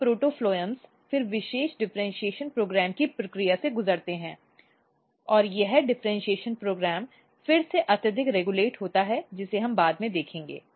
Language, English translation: Hindi, These protophloem then undergo the process of special differentiation program and this differentiation program is highly regulated again which we will see later